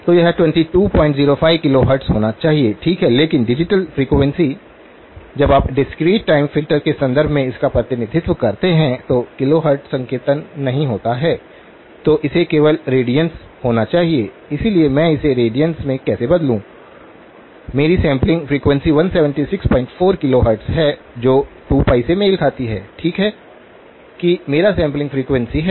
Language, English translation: Hindi, So, this should be 22 point 05 kilohertz, okay but digital frequency; when you represent it in terms of the discrete time filter that there is no kilohertz notation, it has to be only radians, so how do I convert it to radiance, my sampling frequency is 176 point 4 kilohertz that corresponds to 2pi, okay that is my sampling frequency